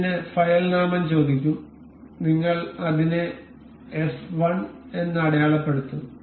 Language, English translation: Malayalam, Ask us for this some file name, we will mark it as f 1